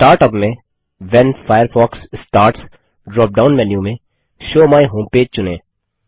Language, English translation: Hindi, Under Start up, in the When Firefox starts drop down menu, select Show my home page